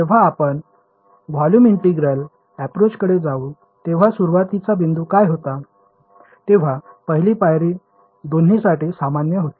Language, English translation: Marathi, When we move to the volume integral approach what was how what was the starting point, was the first step common to both